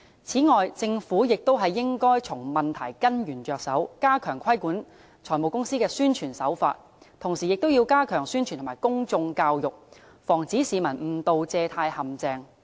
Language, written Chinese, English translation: Cantonese, 此外，政府亦應從問題根源着手，加強規管財務公司的宣傳手法，同時亦要加強宣傳及公眾教育，防止市民誤墮借貸陷阱。, Furthermore the Government should address the problem at root by stepping up regulation of the promotion practices of finance companies . Meanwhile publicity and public education should also be enhanced to prevent members of the public from inadvertently falling into loan traps